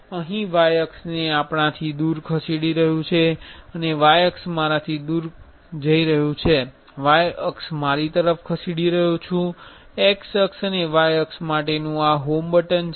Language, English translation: Gujarati, This is moving y axis away from us and moving y axis away from me moving y axis towards me, this is a home button to home x axis and y axis